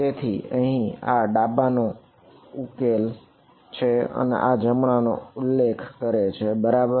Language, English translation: Gujarati, So, here this again refers to left this here refers to right ok